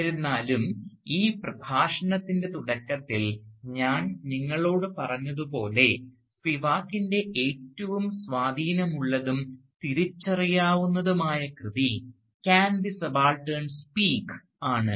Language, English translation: Malayalam, However, as I've told you near the beginning of this lecture, Spivak's most influential and recognisable work has remained, "Can the Subaltern Speak